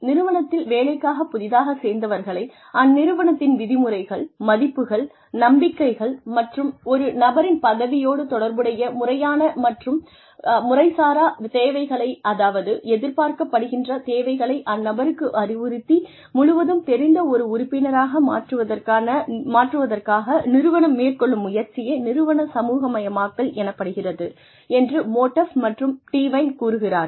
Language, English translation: Tamil, Modaff and DeWine feel that, organizational socialization is the attempts of the organization, to transform an organizational newcomer, into a full fledged member, by instilling into the person, the organization's norms, values, and beliefs, as well as the, formal and informal role requirements, associated with the person's position